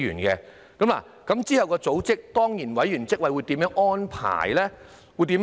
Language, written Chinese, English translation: Cantonese, 之後這個組織的當然委員會如何安排呢？, What is the arrangement for the ex - officio members of this organization then?